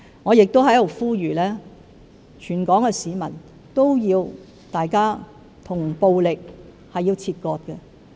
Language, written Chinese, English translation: Cantonese, 我亦在此呼籲，全港市民要與暴力切割。, Here I would also appeal to everyone in Hong Kong to sever ties with violence